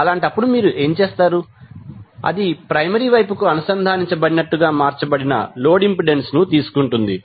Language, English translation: Telugu, So, in that case what you will do you will take the load impedance converted as if it is connected to the primary side